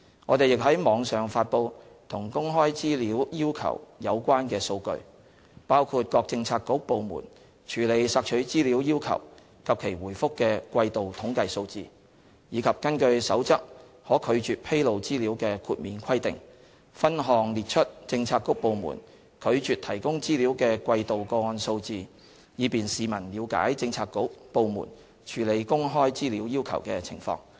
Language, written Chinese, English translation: Cantonese, 我們亦於網上發布與公開資料要求有關的數據，包括各政策局/部門處理索取資料要求及其回覆的季度統計數字，以及根據《守則》可拒絕披露資料的豁免規定，分項列出政策局/部門拒絕提供資料的季度個案數字，以便市民了解政策局/部門處理公開資料要求的情況。, We also publish online statistics relating to access to information requests including quarterly statistical figures on requests for information handled by bureauxdepartments and their responses as well as quarterly figures relating to the use of exemption provisions for refusing disclosure of information made under the Code by bureauxdepartments so as to facilitate the publics understanding of bureauxdepartments handling of access to information requests